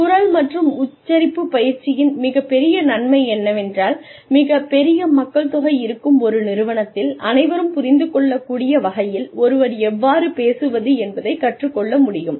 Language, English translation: Tamil, The big benefit of voice and accent training is that, one is able to learn how to speak in a manner that one can be understood, by a larger population of people